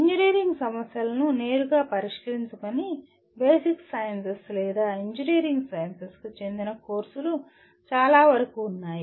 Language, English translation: Telugu, Majority of courses belong to either Basic Sciences or Engineering Sciences which do not address engineering problems directly